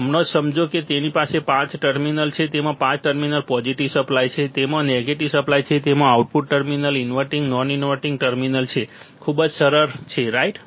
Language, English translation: Gujarati, Right now just understand that it has five terminals it has five terminals positive supply, it has negative supply, it has output terminal inverting and non inverting terminal, easy very easy right